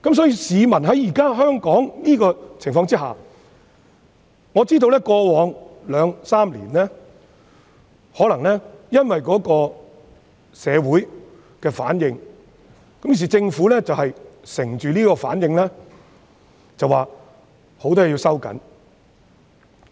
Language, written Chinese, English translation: Cantonese, 因此，在香港現時的情況下，在過往兩三年，可能因為社會的反應，政府便趁機表示要對很多方面作出收緊。, Hence under the circumstances over the past two to three years perhaps due to the reaction of the community the Hong Kong Government took the opportunity to announce that many areas must be tightened